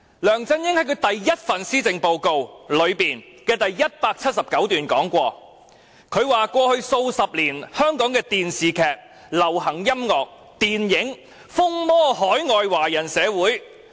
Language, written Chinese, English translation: Cantonese, 梁振英在他的第一份施政報告第179段曾經指出："過去數十年，香港的電視劇、流行音樂、電影......風靡海外華人社會。, In paragraph 179 of his first Policy Address LEUNG Chun - ying pointed out Over the past decades Hong Kongs television drama music films have gained immense popularity in overseas Chinese communities